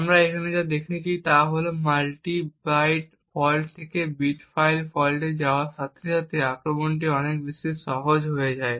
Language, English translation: Bengali, What we see over here is that as we move from the multi byte fault to a bit fault model the attack becomes much easy